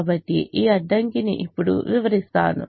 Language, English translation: Telugu, so let me explain this constraint now